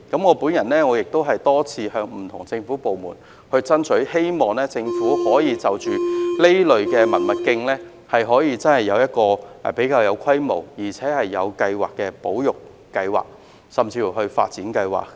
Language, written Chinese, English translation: Cantonese, 我亦多次向不同政府部門爭取，希望政府可以就着這類文物徑提出比較有規模而且有計劃的保育計劃，甚至是發展計劃。, I have also repeatedly lobbied support from different government departments in the hope that the Government can come up with plans that are larger in scale and better organized for conservation and even for development